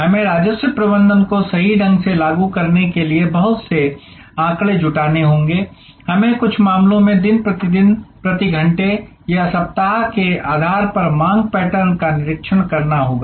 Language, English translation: Hindi, We have to gather lot of data to apply revenue management correctly; we have to observe the demand pattern day by day in some cases, hour by hour or week by week